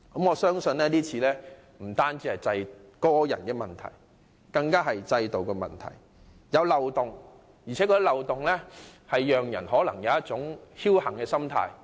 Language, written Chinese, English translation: Cantonese, 我相信這次事件不是個人問題，而是制度問題，涉事人在漏洞面前更有一種僥幸心態。, In my view this incident lies with the system rather than individuals . The systemic loopholes even tempted the parties in question to try their luck